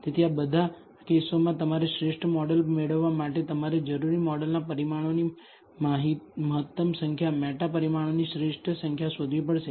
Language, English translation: Gujarati, So, in all of these this cases, you have to find out the optimal number of meta parameter, optimal number of parameters of the model that you need to use in order to obtain the best model